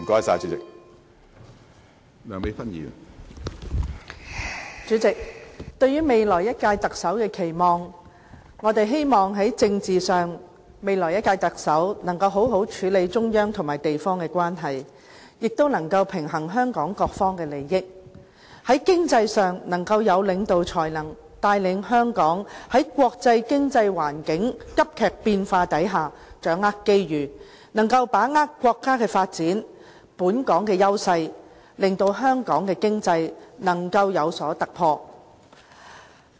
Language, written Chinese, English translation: Cantonese, 主席，對於下任特首的期望，我們希望在政治上，下任特首能夠好好處理中央和地方的關係，亦能夠平衡香港各方的利益；在經濟上，能夠有領導才能，帶領香港在國際經濟環境急劇變化下掌握機遇，把握國家發展、本港的優勢，令香港的經濟有所突破。, President about our expectations for the next Chief Executive I hope that politically the next Chief Executive can properly handle the relationship between the Central Authorities and Hong Kong in addition to forging a balance of interests among all Hong Kong people . Economically I hope that the next Chief Executive can be a capable leader one who can let us grasp the opportunities in the volatile global economy capitalize on our advantages dovetail with the development of our country and achieve economic breakthroughs